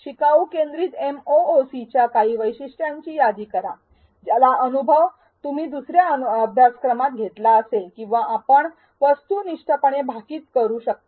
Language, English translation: Marathi, List some of the features of a learner centric MOOC which you may have experienced in another course or you may be able to objectively extrapolate